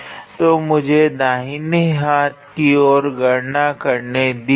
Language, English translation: Hindi, So, let me calculate the right hand side